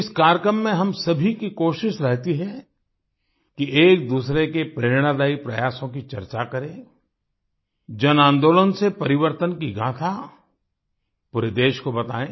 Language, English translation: Hindi, In this program, it is our endeavour to discuss each other's inspiring efforts; to tell the story of change through mass movement to the entire country